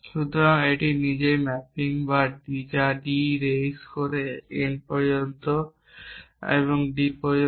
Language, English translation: Bengali, So, this itself is a mapping from D raise to n to D